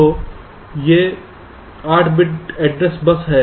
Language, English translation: Hindi, so these, and there is eight bit address